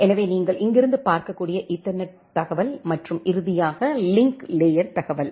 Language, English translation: Tamil, So, the ethernet information you can see from here and finally, the link layer information